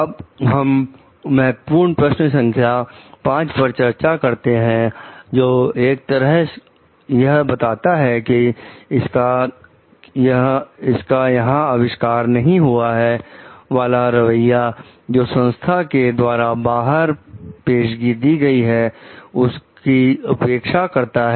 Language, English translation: Hindi, Now, we will move on to the key question 5 which talks of like on the one hand, it is not invented here attitude, which disregards advances made outside of its own organization